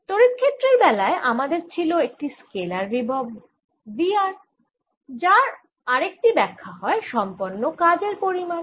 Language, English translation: Bengali, so in the case of electric field we had a scalar potential, v r, which is also interpreter as the work done in the case of magnetic field